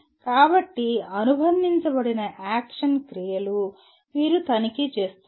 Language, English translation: Telugu, So the action verbs associated with are either you are checking